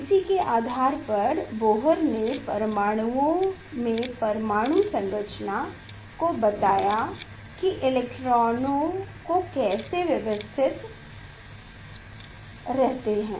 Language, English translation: Hindi, based on this postulates Bohr given the atomic structures in atoms how electrons are arranged